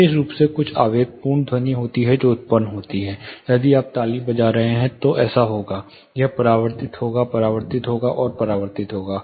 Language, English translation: Hindi, Specifically there is some impulsive sound which is produced, say if you are clapping, this will go get reflected, get reflected, and get reflected